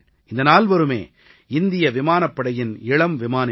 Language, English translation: Tamil, All of them are pilots of the Indian Air Force